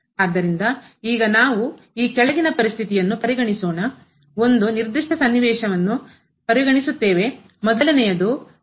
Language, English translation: Kannada, So, now we consider the following situation a particular situation the case I when =m